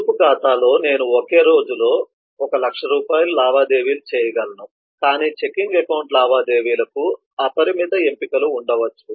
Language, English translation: Telugu, savings account may have that i can transact at most, say, 1 lakh rupees within a single day, but checking account may have unlimited options for transactions and so on